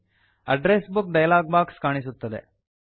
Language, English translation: Kannada, The Address Book dialog box appears